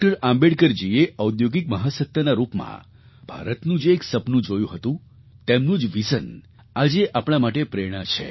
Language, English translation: Gujarati, Ambedkarji's dream of India as an industrial super powerthat vision of his has become our inspiration today